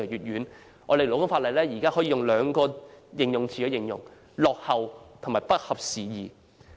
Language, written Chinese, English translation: Cantonese, 現行勞工法例可以用兩個詞語來形容——落後和不合時宜。, The existing labour law can be best described with two words obsolete and outdated